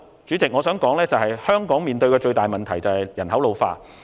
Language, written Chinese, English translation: Cantonese, 主席，最後我想指出，香港面對的最大問題是人口老化。, Finally Chairman I would like to point out that the biggest problem facing Hong Kong is the ageing of its population